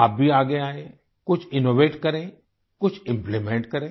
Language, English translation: Hindi, Step forward innovate some; implement some